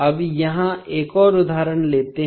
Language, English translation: Hindi, Now, let us take another example here